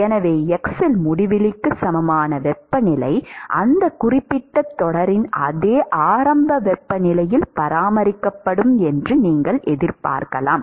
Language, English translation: Tamil, Therefore, the at x equal to infinity you would expect that the temperature is maintained at the same initial temperature of that particular series